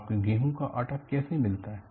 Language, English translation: Hindi, How do you get the wheat flour